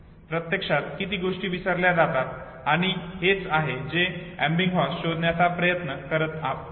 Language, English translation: Marathi, How much of loss takes place actually and this is what you Ebbinghaus was trying to study what he found was